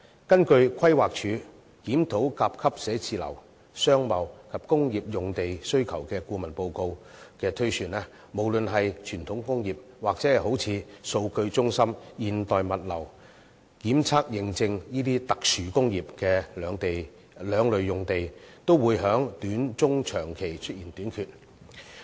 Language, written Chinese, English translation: Cantonese, 根據規劃署的《檢討甲級寫字樓、商貿及工業用地的需求》顧問報告推算，無論是傳統工業或數據中心、現代物流、檢測認證這些特殊工業的兩類用地，都會在短中長期出現短缺。, According to the estimates made in the report on the Review of Land Requirement for Grade A Offices Business and Industrial Uses consultancy study commissioned by the Planning Department whether it be land for traditional industries or that for special industries such as data centres modern logistics and testing and certification a shortage is envisaged in the short medium and long terms